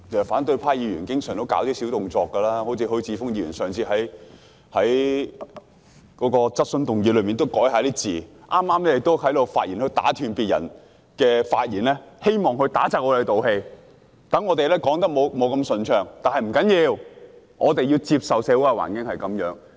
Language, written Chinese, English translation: Cantonese, 反對派議員經常都會做一些小動作，例如許智峯議員在上次會議提出口頭質詢時，改動了主體質詢的字眼，剛才又打斷別人發言，希望令我們不能一氣呵成，發言不順暢，但不要緊，我們要接受社會的環境就是這樣。, Members of the opposition camp often resort to some tricks . For example when raising his oral question in the last meeting Mr HUI Chi - fung altered some wording of his main question and just now he interrupted our speeches in an attempt to make us unable to speak fluently and finish our speeches at one go . But never mind we have to accept that this is what the social circumstances are like